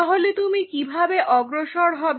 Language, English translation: Bengali, So, how you will proceed